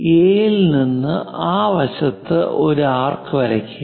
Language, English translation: Malayalam, Now draw an arc on that side from A